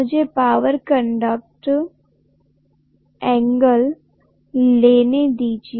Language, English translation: Hindi, Let me take the power factor angle